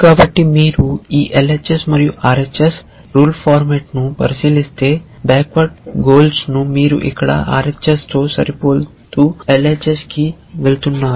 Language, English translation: Telugu, So, if you look at this rule format LHS and RHS then in backward chaining you are matching here with the RHS and moving to the LHS